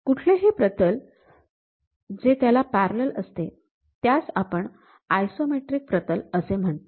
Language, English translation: Marathi, Any plane parallel to that also, we call that as isometric plane